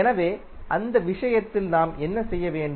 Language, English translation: Tamil, So, in that case what we have to do